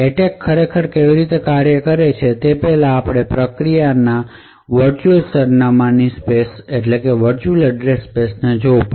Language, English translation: Gujarati, So, before we go into how the attack actually works, we would have to look at the virtual address space of a process